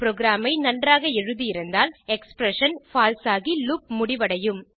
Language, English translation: Tamil, If the program is written well, the expression becomes false and the loop is ended